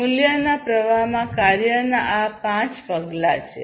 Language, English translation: Gujarati, These are the five steps of work in the value streams